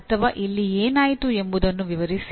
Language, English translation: Kannada, Or describe what happened at …